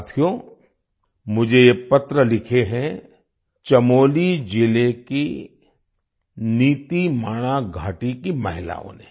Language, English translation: Hindi, Friends, this letter has been written to me by the women of NitiMana valley in Chamoli district